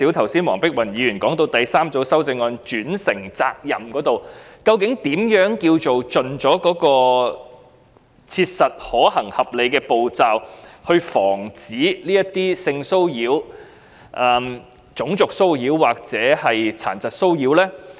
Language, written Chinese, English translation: Cantonese, 她提及第三組修正案有關"轉承責任"方面，究竟何謂"盡切實可行、合理的步驟，以防止性騷擾、種族騷擾或殘疾騷擾"呢？, She has mentioned vicarious liability under the third group of amendments . What is taking reasonably practicable steps to prevent sexual harassment racial harassment or disability harassment?